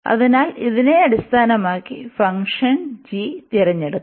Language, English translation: Malayalam, So, based on this now we can select the function, we can choose the function g